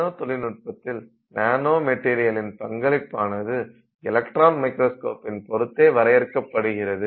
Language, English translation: Tamil, Well, the discovery of nanomaterials and its use in nanotechnology has been limited by the resolution of electron microscopes